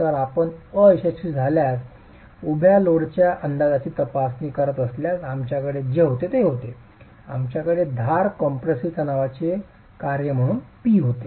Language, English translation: Marathi, So, what we finally had if you are examining the estimate of the vertical load at failure, we had p as a function of the edge compressive stress